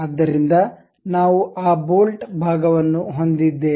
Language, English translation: Kannada, So, we have that bolt portion